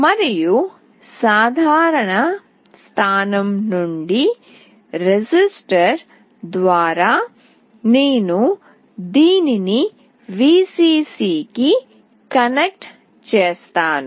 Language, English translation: Telugu, And from the common point through a resistor I have connected this to Vcc